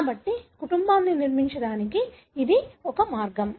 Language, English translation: Telugu, So that is one way to construct the family